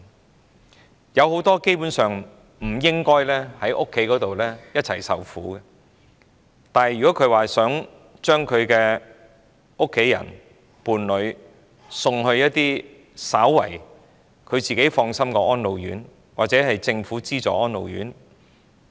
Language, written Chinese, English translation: Cantonese, 他們當中有很多根本不應一同留在家中受苦，但卻無法將家人或伴侶送往能稍為令他們放心的安老院或政府資助安老院。, Many of these elderly people should not be left to suffer together at home but they can find no way to have their family member or spouse admitted to trustworthy homes for the aged or subsidized residential care homes for the elderly RCHEs